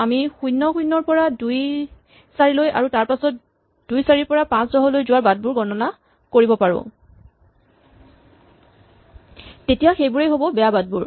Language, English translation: Assamese, If we could only count how many paths go from (0, 0) to (2, 4) and then how many paths go from (2, 4) to (5, 10), these are all the bad paths